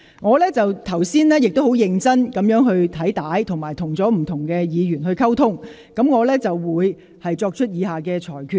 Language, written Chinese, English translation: Cantonese, 我剛才認真翻看錄影片段，並與不同議員溝通。我會作出以下裁決。, Having just carefully watched the video clip and communicated with different Members I am going to make a ruling as follows